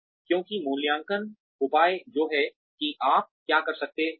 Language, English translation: Hindi, Because, appraisals measure, what you could have done